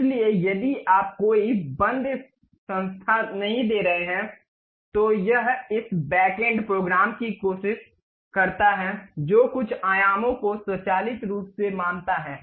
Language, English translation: Hindi, So, if you are not giving any closed entities, it try to have this back end program which automatically assumes certain dimensions try to construct this